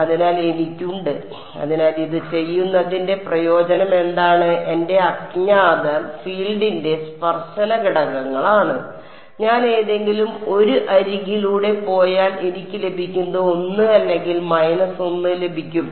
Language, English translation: Malayalam, So, I have, so, why does this what is the advantage of doing this my unknowns are the tangential components of the field right, if I go along any 1 of the edges what will I get I will get 1 or minus 1